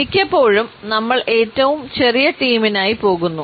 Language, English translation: Malayalam, Often times, we go for the shortest team